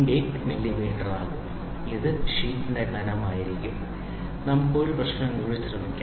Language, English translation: Malayalam, 80 millimeter this will be the thickness of the sheet let us try one more problem